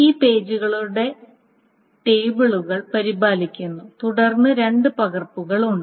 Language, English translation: Malayalam, So these pages, the list of these pages are maintained and then there are two copies